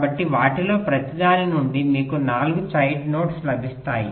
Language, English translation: Telugu, so from each of them you get four child nodes and so on